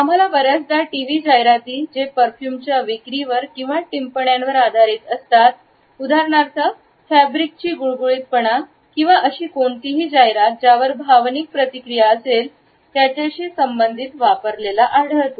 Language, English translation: Marathi, We find it often used in TV advertisements which are based on the sales of perfumes or comments on the smoothness of fabric for example or any advertisement which has emotional reactions associated with it